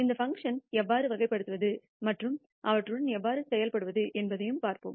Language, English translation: Tamil, We will also see how to characterize these functions and how to work with them